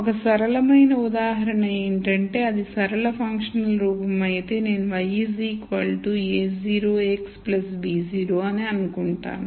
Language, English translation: Telugu, So, a simple example is if it is a linear functional form then I say y equal to a naught x plus b naught let us say